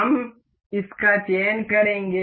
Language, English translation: Hindi, We will select this